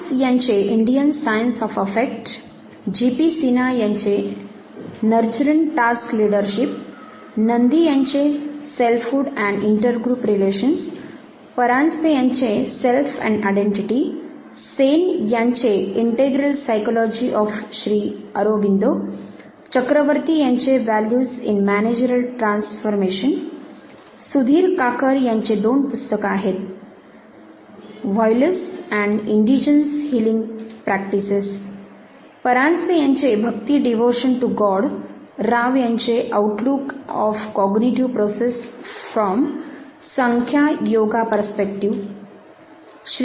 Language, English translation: Marathi, ‘Indian science of affect’ by Das, Nurturant task leadership by G P Sinha, Selfhood and intergroup relations by Nandy, Self and identity by Paranjpe, Integral psychology of Sri Aurobindo by Sen, Values in managerial transformation by Chakraborty, Violence by Sudhir Kakar, Indigenous healing practices again by Sudhir Kakar, Bhakti that is devotion to god by Paranjpe, Outlook of cognitive process from Samkhya Yoga perspective by Rao